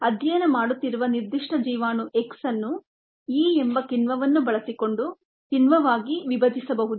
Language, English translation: Kannada, the particular toxin that she is studying, x, can be broken down enzymatically using the enzyme e